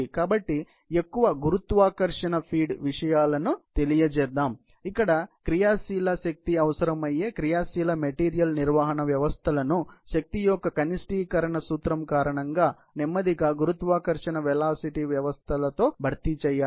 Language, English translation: Telugu, So, therefore, more of gravity feed visa vies, let us say things, where active energy is needed, active material handling systems; they have been replaced slowly by the gravity speed systems, because of the minimization of the energy principle